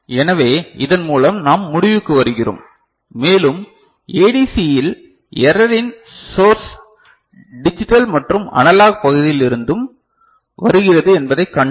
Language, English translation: Tamil, So, with this we conclude and what we have seen that in ADC the source of error comes from both digital and analog part